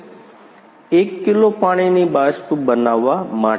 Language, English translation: Gujarati, To evaporate 1 kg water evaporation